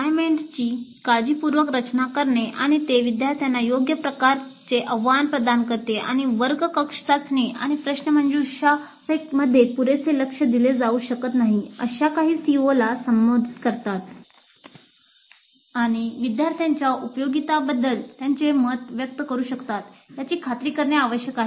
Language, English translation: Marathi, So it is necessary to design the assignments carefully and ensure that they do provide right kind of challenge to the students and they address some of the CEOs which cannot be adequately addressed in classroom test surfaces and let the students express their view regarding the usefulness of these assignments in promoting learning